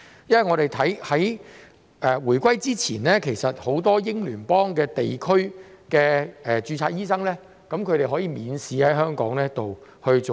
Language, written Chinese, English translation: Cantonese, 在回歸前，很多英聯邦地區的註冊醫生均可以免試在香港執業。, Before the return of sovereignty many registered doctors of Commonwealth countries were permitted to practise in Hong Kong without taking any examination